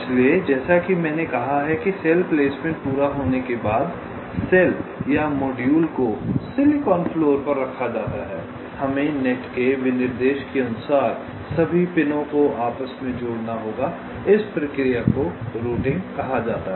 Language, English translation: Hindi, so, as i have said that after cell placement is completed, the cells or the modules are placed on the silicon floor, we have to inter connect all the pins according to the specification of the nets